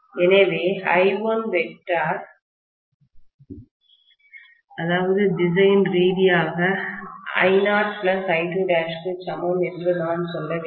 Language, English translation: Tamil, So, I should say I1 vectorially is equal to I naught + I2 dash